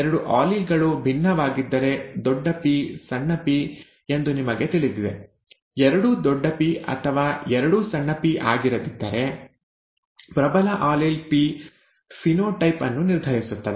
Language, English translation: Kannada, If the two alleles differ, you know, capital P small p, instead of both being capital P or both being small p, the dominant allele P determines the phenotype, okay